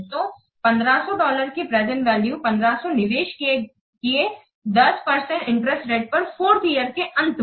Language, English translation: Hindi, So, the present value of dollar 1 500, 1500 invested at 10% interest at the end of fourth year